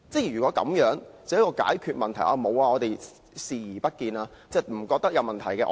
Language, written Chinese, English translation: Cantonese, 如果這樣就說解決了問題，其實只是視而不見，認為沒有問題。, If this is a solution to the problem the Government is only turning a blind eye to it telling itself that there is no problem at all